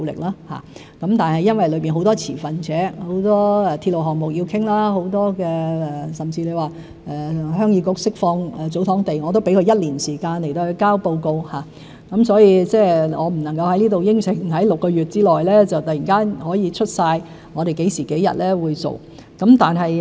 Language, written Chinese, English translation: Cantonese, 因為當中有很多持份者，有很多鐵路項目要商談，即使是鄉議局釋放祖堂地，我都給予一年時間提交報告，所以我不能夠在這裏承諾在6個月之內突然可以列出我們何時何日會做得到。, This is because we have to deal with many stakeholders and negotiate for a number of railway projects . For the Heung Yee Kuks release of TsoTong lands I even allow a year for them to submit reports . As a result I cannot promise anything here such as giving a specific time for implementation in six months